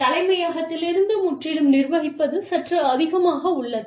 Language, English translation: Tamil, Managing totally from headquarters, is slightly more aloof